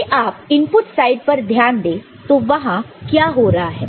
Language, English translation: Hindi, Now, if you look at the input side; what is happening